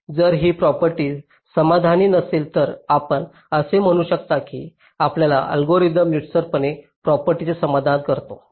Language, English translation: Marathi, if this property satisfied, you can say that your algorithm satisfies the monotonicity property